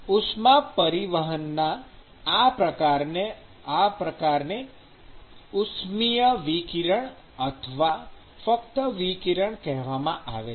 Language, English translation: Gujarati, So, such kind of mode of heat transport is actually called as thermal radiation or simply radiation